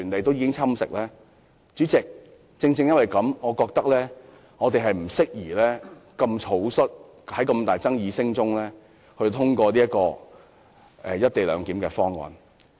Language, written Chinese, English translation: Cantonese, 代理主席，正因如此，我認為我們不宜草率地在巨大爭議聲中通過"一地兩檢"方案。, Deputy President it is precisely due to all these reasons that I do not think we should pass the co - location proposal hastily amid huge controversy